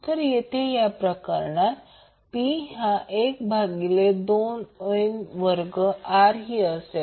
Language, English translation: Marathi, So here in this case, P will be 1 by to 2 I square R